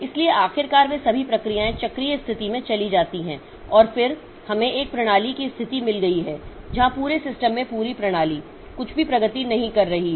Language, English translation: Hindi, So, ultimately all the processes they go into a cyclic situation and then we have got a system situation where the entire system in the entire system nothing is progressing